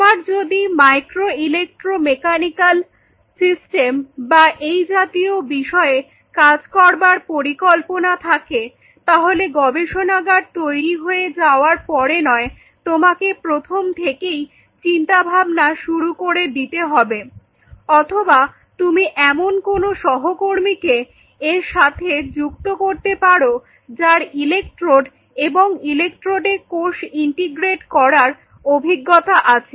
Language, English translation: Bengali, So, if you have plans to explore in the area of micro electromechanical systems and all those kinds of things, you might as well start thinking in the beginning instead of thinking after you make up the lab or you have a colleague with part of team, who was to work on electrodes and integrating cells on electrodes